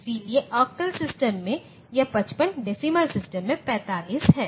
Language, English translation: Hindi, So, this 55 in octal system is 45 in the decimal system